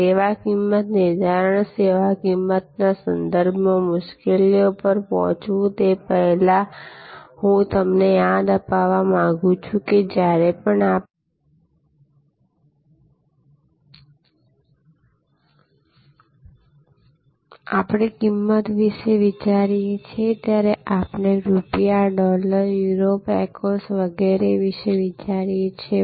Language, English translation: Gujarati, So, service pricing, now before I get to the difficulties with respect to service pricing, I would like to remind you that whenever we think of price, we think of rupees, dollars, Euros, Pecos and so on